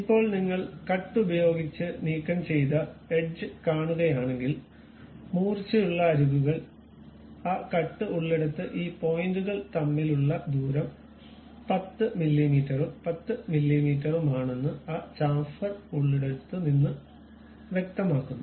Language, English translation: Malayalam, Now, if you are seeing this the sharp edges removed by a cut where that cut clearly shows that the distance between these points from where we have that chamfer is 10 mm and 10 mm